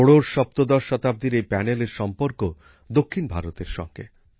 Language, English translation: Bengali, This panel of 16th17th century is associated with South India